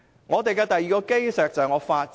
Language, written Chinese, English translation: Cantonese, 我們的第二項基石是法治。, Our second cornerstone is the rule of law